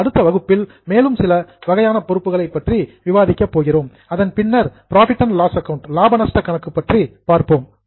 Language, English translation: Tamil, In our next session we will go ahead and go into further some more types of liabilities and then into profit and loss account